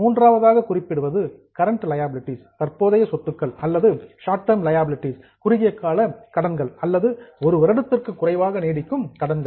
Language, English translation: Tamil, The third one is current liabilities or short term liabilities or those liabilities which are likely to last for less than one year